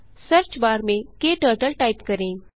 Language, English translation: Hindi, In the Search bar, type KTurtle